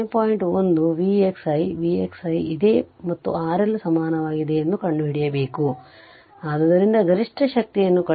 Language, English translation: Kannada, 1 V x is here here V x is there right and you have to find out R L and R L is equal so, I sorry you have to find out maximum power